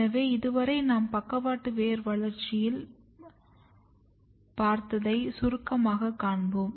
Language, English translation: Tamil, So, this all if I summarize in lateral root development